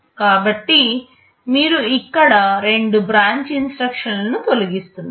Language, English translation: Telugu, So, you see here you are eliminating two branch instructions